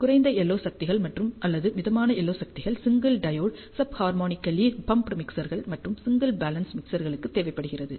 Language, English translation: Tamil, And you see that low LO powers or moderate LO powers are required for single diode sub harmonically pumped mixers, and single balance mixers, because the LO power depends on the number of mixing devices that are being used